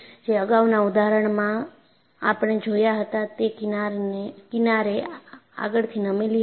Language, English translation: Gujarati, In the earlier examples, we saw the fringes were tilted forward